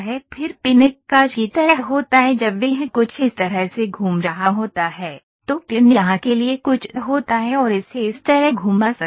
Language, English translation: Hindi, Then pin is kind of a hinge when it is moving something like this, pin is something for this is pinned here and it can move like this